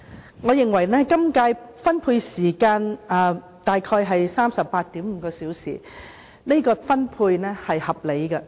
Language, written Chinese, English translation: Cantonese, 今屆預算案的辯論時間大約為 38.5 小時，我認為是合理的安排。, In this term about 38.5 hours have been allocated for the debate; I think that is a reasonable